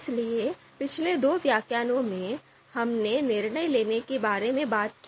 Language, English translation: Hindi, So in previous two lectures, we talked about what is decision making